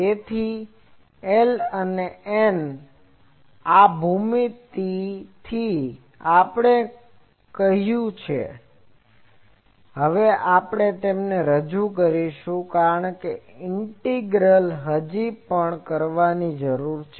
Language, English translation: Gujarati, So, this L and N that from this geometry we have said, we will now introduce them because that integral still needs to be done because A and F contains those integrals